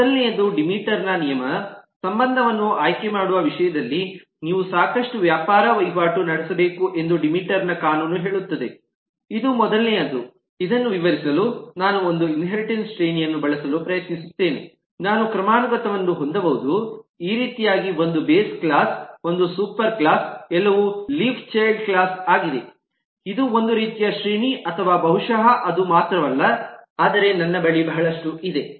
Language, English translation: Kannada, the law of demeter says that, in terms of choosing the relationship, you have to make a lot of trade off judgment, which is first i am just trying to use one inheritance hierarchy to explain this that i can have a hierarchy, that which is more like, say like this, 1 base class, one superclass, everything else is a leaf, child class is a one kind of hierarchy, or maybe not only that, but i have this lot of here